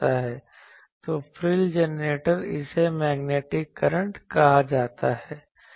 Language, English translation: Hindi, So, frill generator this is called this is the Magnetic Current